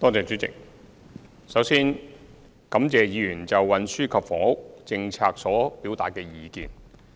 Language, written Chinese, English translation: Cantonese, 主席，首先，感謝議員就運輸及房屋政策所表達的意見。, President first I would like to thank Members for their views about the policies on transport and housing